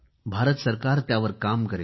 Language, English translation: Marathi, The Government of India will work on that